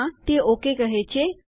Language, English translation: Gujarati, Yes, thats saying ok